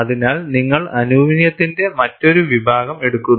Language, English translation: Malayalam, So, you take up another category of aluminum